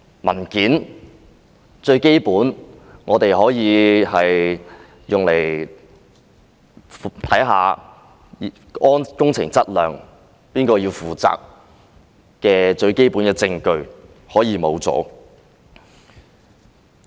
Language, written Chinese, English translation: Cantonese, 文件是最基本可以用來查看工程質量和誰要負責的最基本證據，竟然可以消失。, Documents are primarily the most basic evidence for ascertaining the quality of works and who should be held responsible but they can outrageously disappear